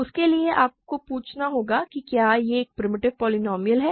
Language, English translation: Hindi, For that you have to ask if it is a primitive polynomial